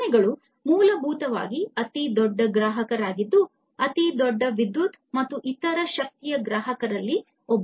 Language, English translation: Kannada, Factories are essentially the largest consumers, one of the largest consumers of electricity and different other energy